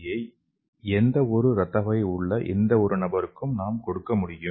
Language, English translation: Tamil, We can give this artificial RBC to any person with any kind of the blood group